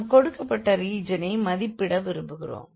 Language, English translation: Tamil, And we want to evaluate this given region here